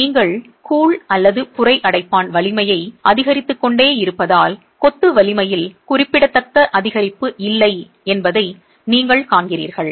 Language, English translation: Tamil, And you see that as you keep increasing the grout strength, you do not have significant increase in the strength of the masonry